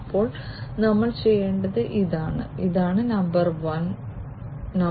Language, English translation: Malayalam, Then we have to do what, this is number 1